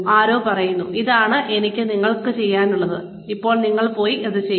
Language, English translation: Malayalam, Somebody says, this is what I needed you to do, and now you go and do it